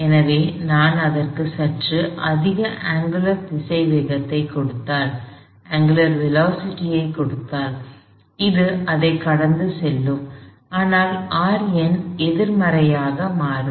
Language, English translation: Tamil, So, if I give it slightly greater angular velocity, it is going to go pass that, that R n would become negative